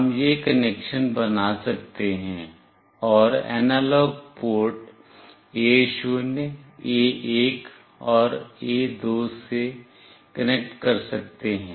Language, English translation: Hindi, We can make this connection, and connect to analog ports A0, A1, and A2